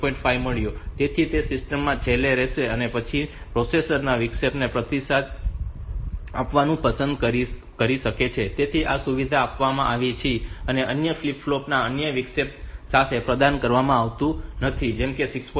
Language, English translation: Gujarati, 5 so it will remain last in the system and later on the processor may like to respond to that interrupt, so this facility is provided and it is not provided with other flip flop other interrupt like; 6